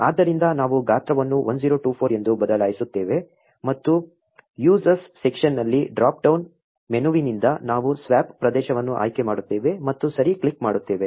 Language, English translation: Kannada, So, we will change the size to be 1024 and from the drop down menu in the use as section we will select the swap area and click OK